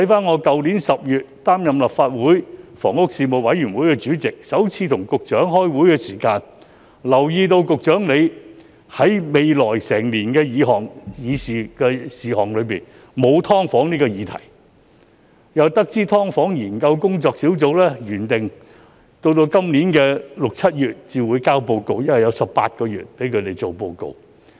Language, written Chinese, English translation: Cantonese, 我去年10月出任立法會房屋事務委員會主席，首次與局長開會時，我便留意到局長未有在來年的議程事項中納入"劏房"議題，並得知"劏房"租務管制研究工作小組原定在今年6月、7月才提交報告，因為擬備報告需時18個月。, I assumed the position of Chairman of the Legislative Council Panel on Housing in October last year . At the first meeting with the Secretary I noticed that the Secretary had not included the SDU issue as an agenda item for the coming year . I also learnt that the Task Force for the Study on Tenancy Control of Subdivided Units was originally scheduled to submit its report around June or July this year because the report would take 18 months for preparation